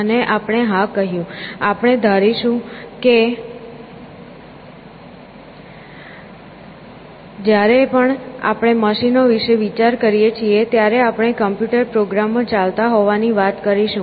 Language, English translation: Gujarati, And we said that, yes, we will assume that; whenever we talk of machines thinking we will be talking about computer programs running